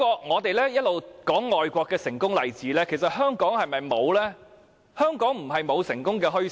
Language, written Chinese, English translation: Cantonese, 我們一直談外國的成功例子，其實香港是否沒有呢？香港不是沒有成功的墟市。, We have been talking about successful examples in foreign countries; are there successful bazaars in Hong Kong?